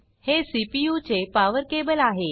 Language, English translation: Marathi, This is the power cable of the CPU